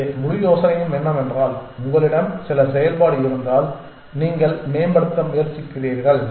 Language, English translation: Tamil, So, the whole idea is that if you have some function in which you are trying to optimize